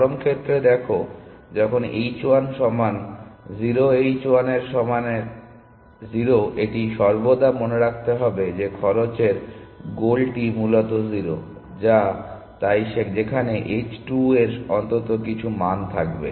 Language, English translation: Bengali, So, take the extreme case when h 1 is equal to 0 h 1 is equal to 0 it always thinks that the cost goal is 0 essentially which is what does where as the h 2 thinks that it is at least some value